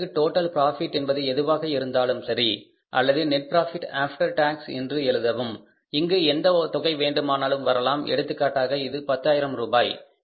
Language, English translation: Tamil, Whatever the total profit or you can write here as the buy net profit after tax, buy net profit after tax, whatever the total amount comes here for example it is 10,000